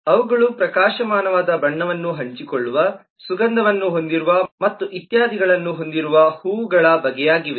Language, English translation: Kannada, they are kinds of flowers in the sense they share bright color, they have fragrance and all that